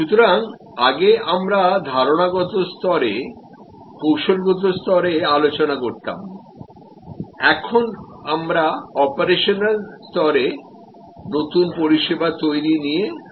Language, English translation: Bengali, So, earlier we were discussing at conceptual level, strategic level, now we will discuss new service creation at an operational level